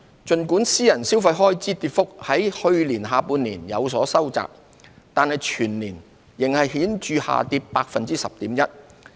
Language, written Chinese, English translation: Cantonese, 儘管私人消費開支跌幅在去年下半年有所收窄，但全年仍顯著下跌 10.1%。, Private consumption expenditure dropped significantly by 10.1 % for the year as a whole despite some narrowing of the decline in the second half of the year